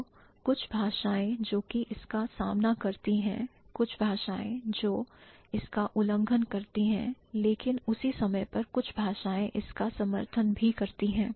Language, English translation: Hindi, So, certain languages which confronted, certain languages which violated, but at the same time certain languages also support this, right